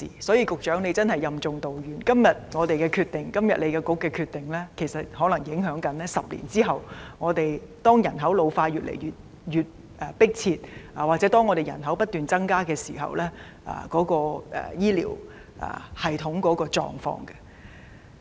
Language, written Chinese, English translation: Cantonese, 所以，局長真的任重道遠，因為政府和局長今天所作決定，可能影響10年後，當香港人口老化問題越來越迫切及人口不斷增加時的醫療系統的狀況。, The Secretary is therefore shouldering heavy responsibilities because a decision made by her and the Government today may have implications for what our healthcare system will be like 10 years later when the problem of ageing population in Hong Kong will become increasingly serious and local population will be ever increasing